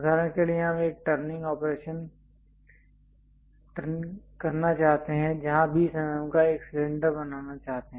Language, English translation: Hindi, For example, I would like to make a turning operation where a cylinder of 20 mm I would like to make